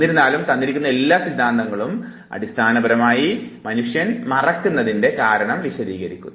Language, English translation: Malayalam, But all these four theories basically explain why people forget